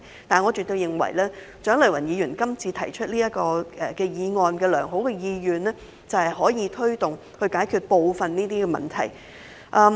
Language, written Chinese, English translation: Cantonese, 但是，我絕對認為蔣麗芸議員這項議案背後有良好的意願，就是推動解決當中部分問題。, However I definitely think that there is a good intention behind Dr CHIANG Lai - wans motion and that is driving to resolve some of these problems